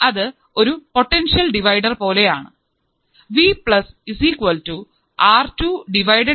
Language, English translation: Malayalam, So, this is like a potential divider